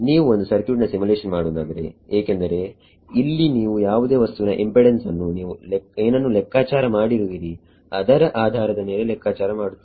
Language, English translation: Kannada, If you are doing a circuit simulation here is why you would calculate things like impedance of whatever right based on what you have calculated